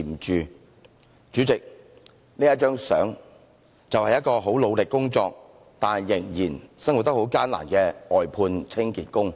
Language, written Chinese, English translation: Cantonese, 代理主席，這幅照片展示的就是一名即使努力工作，但仍生活得很艱難的外判清潔工。, Deputy President this picture depicts an outsourced cleaning worker whose toil does not make life easier . In the exhibition Poverty